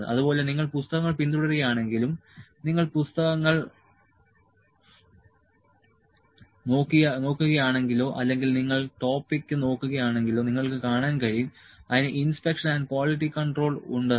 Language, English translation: Malayalam, Even if you follow the books, if you see the books or if you find the topic, you will find it has inspection and quality control